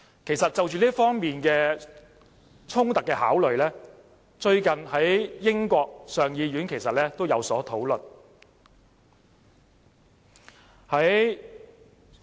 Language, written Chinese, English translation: Cantonese, 其實，就這方面衝突的考慮，最近英國上議院也有所討論。, In fact the contraction in this respect has recently been under consideration of the House of Lords of the United Kingdom